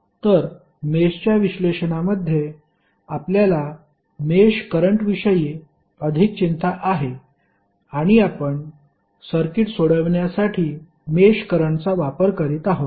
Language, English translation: Marathi, So, in the mesh analysis we are more concerned about the mesh current and we were utilizing mesh current to solve the circuit